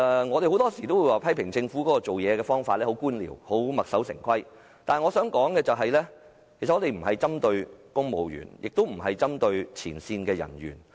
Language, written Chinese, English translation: Cantonese, 我們經常批評政府處事方式官僚，墨守成規，但我想說的是，我們既不針對公務員，也不針對前線人員。, We often criticize the Government for working in a bureaucratic manner and sticking to the rut but I wish to say that we target neither the civil service nor frontline staff